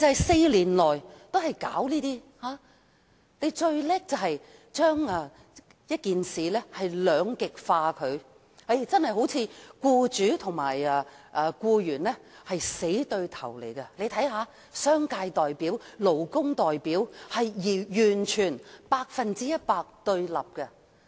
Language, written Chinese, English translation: Cantonese, 四年來，政府最擅長將事情兩極化，彷彿僱主和僱員是死對頭，商界代表和勞工代表是百分百對立。, Over the past four years the Government has been most adept at creating polarization on this subject as if employers and employees are arch - enemies while the representatives of the commercial and labour sectors hold entirely opposite views